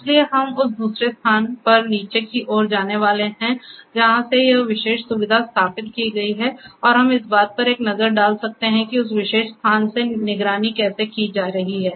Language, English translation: Hindi, So, we are going to go downstairs at the other location from where this particular facility has been installed and we can have a look at how things are being monitored from that, that particular location